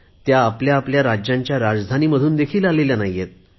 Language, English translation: Marathi, They do not even come from the capital cities of their respective states